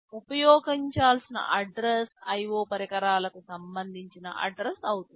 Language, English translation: Telugu, The address to be used will be the address corresponding to the IO devices